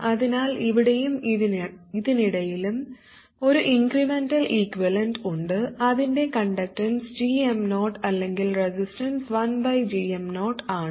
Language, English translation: Malayalam, So this whole thing here between this one and that one has an incrementally equivalent whose conductance is GM0 or the resistance is 1 over GM 0